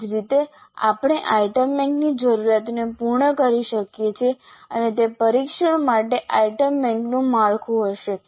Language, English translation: Gujarati, Similarly we can work out the requirements of the item bank and that would be the structure of the item bank for the test